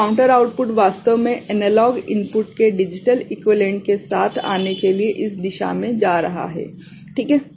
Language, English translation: Hindi, So, the counter output is actually going in this direction to come up with the digital equivalent of the analog input